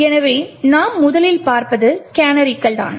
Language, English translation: Tamil, So, the first thing we will look at is that of canaries